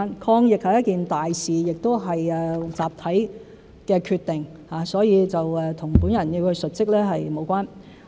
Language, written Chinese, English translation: Cantonese, 抗疫是一件大事，亦是集體的決定，所以與本人要述職無關。, Fighting the epidemic is an important issue and a collective decision so it has nothing to do with my reporting of work